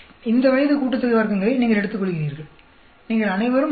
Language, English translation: Tamil, You take this age sum of squares, you all know